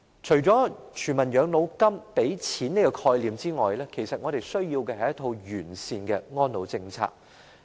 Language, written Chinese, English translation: Cantonese, 除了全民養老金這個提供經濟資助的概念外，其實我們需要的是一套完善的安老政策。, Apart from the concept of establishing a universal Demo - grant to provide financial subsidies actually we need a comprehensive elderly care policy